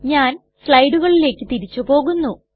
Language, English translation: Malayalam, Let me go back to the slides